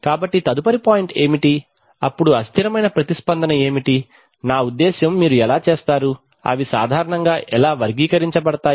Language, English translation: Telugu, So what is the next point, then what is the unstable response, I mean how do you, how they are typically characterized